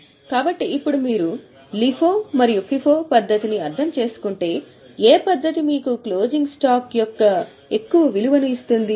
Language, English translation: Telugu, So now if you have understood understood LIFO and FIFO method, which method will give you more value of closing stock